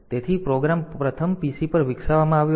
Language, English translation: Gujarati, So, the program is first developed on the pc